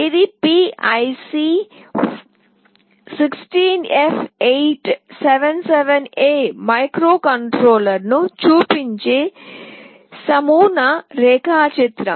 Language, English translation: Telugu, This is a sample diagram showing PIC 16F877A microcontroller this is how it typically looks like